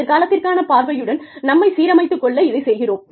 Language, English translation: Tamil, We are doing this, to align ourselves, with the vision for the future